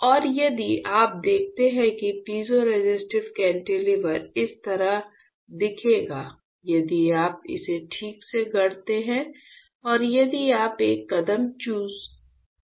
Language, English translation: Hindi, And if you see the piezoresistive cantilever will look like this if you properly fabricate it if you miss a step